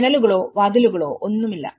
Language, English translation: Malayalam, There is no windows, there is no doors nothing